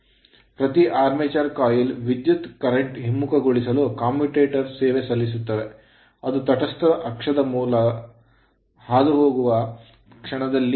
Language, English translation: Kannada, So, the commutators serve to reverse the current in each armature coil at the instant it passes through the neutral axis